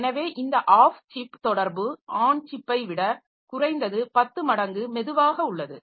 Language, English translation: Tamil, So, this off chip communication is slower than on chip at least 10 times slower